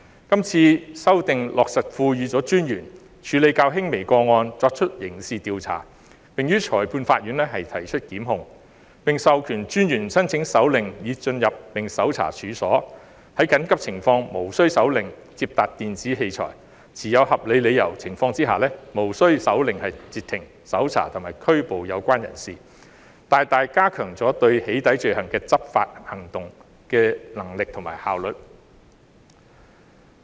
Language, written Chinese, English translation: Cantonese, 今次修訂落實賦予私隱專員權力處理較輕微的個案，作出刑事調查，以及於裁判法院提出檢控；並授權私隱專員申請手令以進入並搜查處所，在緊急情況下可無需手令而接達電子器材，在持有合理理由的情況下可無需手令而截停、搜查及拘捕有關人士，大大加強了針對"起底"罪行的執法行動的能力和效率。, The current amendment empowers the Commissioner to carry out criminal investigation and institute prosecution in the Magistrates Courts for less serious cases . It also empowers the Commissioner to apply for a warrant to enter and search premises and access an electronic device without a warrant in urgent circumstances . The Commissioner will also be able to stop search and arrest a person without warrant in reasonable circumstancesthus greatly enhancing the efficacy and efficiency of enforcement action against doxxing offences